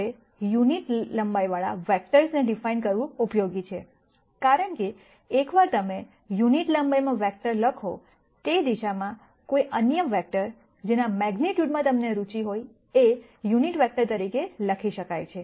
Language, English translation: Gujarati, Now, it is useful to de ne vectors with unit length, because once you write a vector in unit length any other vector in that direction, can be simply written as the unit vector times the magnitude of the vector that you are interested in